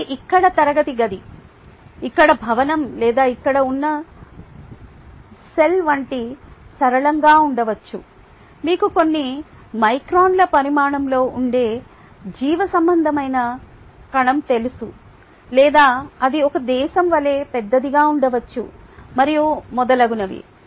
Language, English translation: Telugu, all, right, it could be as simple as the classroom here, the building here, or the cell here, the, the, you know a biological cell which is a few microns in size, or it could be as large as a country, and so on and so forth